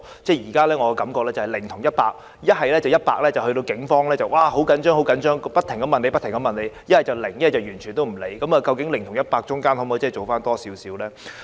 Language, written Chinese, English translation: Cantonese, 我現時的感覺是"零"及"一百"，一則警方十分着緊，不停向受害人查問，一則完全不理會，究竟"零"與"一百"之間可否多做一點呢？, I find that the present situation is very extreme either point zero or 100 . On one end police officers are very concerned and keep on interrogating the victims but on the other end they just totally disregard them . Can they do something more in between point zero and 100?